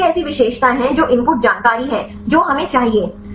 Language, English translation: Hindi, So, what are the features what are the input information we require right